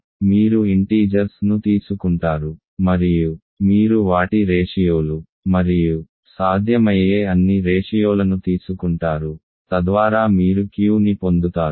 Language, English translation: Telugu, So, you take integers and you take their ratios and all possible ratios so you get Q